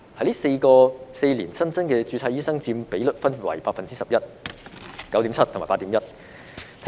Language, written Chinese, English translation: Cantonese, 這4年新增註冊醫生所佔比率分別為 11%、9.7% 和 8.1%。, The percentages of newly registered doctors in these years were 11 % 9.7 % and 8.1 % respectively